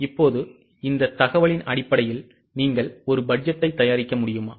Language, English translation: Tamil, Okay, now based on this information, are you able to prepare a budget